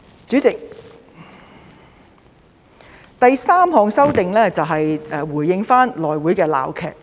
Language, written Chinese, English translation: Cantonese, 主席，第三項修訂是回應內會的鬧劇。, President the third amendment is to respond to the saga in the House Committee